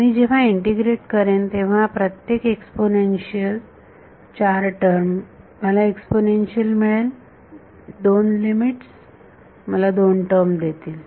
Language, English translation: Marathi, Four terms each exponential when I integrate, I will get an exponential the two the limits will give me two terms